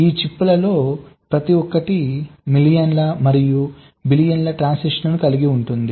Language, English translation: Telugu, those are complex, containing millions and billions of transistors